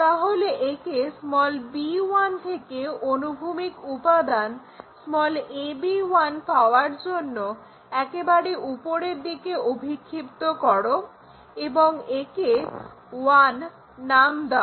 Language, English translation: Bengali, So, project this one all the way up to get horizontal component a b 1 from point b 1 and name it one somewhere we are going to name it